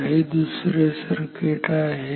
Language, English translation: Marathi, So, this circuit is good